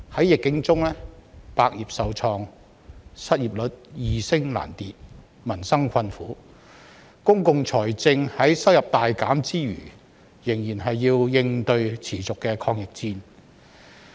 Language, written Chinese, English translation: Cantonese, 疫境中百業受創、失業率易升難跌、民生困苦，公共財政在收入大減之餘仍要應對持續的抗疫戰。, Affected by the epidemic all industries are hard hit the unemployment rate is likely to rise only and people are suffering hardship . In terms of public finances the Government has to continuously fight against the epidemic despite the sharp drop in revenue